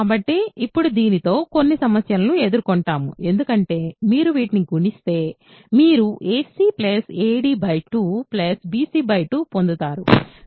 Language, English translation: Telugu, So, now I actually we will run into some problems because if you multiply these, you get a c ad by 2 bc by 2